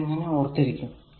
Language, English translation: Malayalam, So, how to remember this